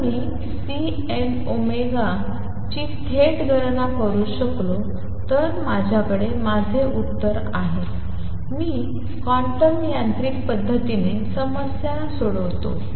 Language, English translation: Marathi, If I could calculate C n omega directly I have my answer I solve the problem quantum mechanically